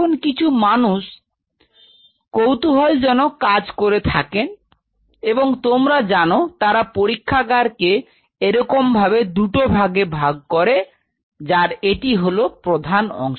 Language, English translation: Bengali, Now some people what they do they do something very interesting they kind of you know split the lab into 2 parts like with the mainframe like this at 2 level